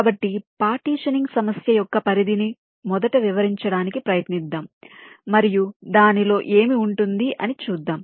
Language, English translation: Telugu, so let us first try to explain this scope of the partitioning problem and what does it involve